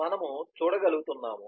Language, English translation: Telugu, and we will be able to see